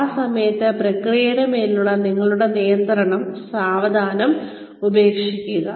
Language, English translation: Malayalam, At that point, slowly give up your control, over the process